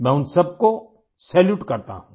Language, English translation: Hindi, I salute all of them